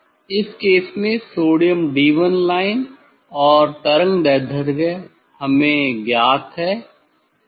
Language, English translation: Hindi, In this case the sodium D 1 line and wavelength is known to us